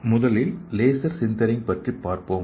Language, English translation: Tamil, So let us see what is selective laser sintering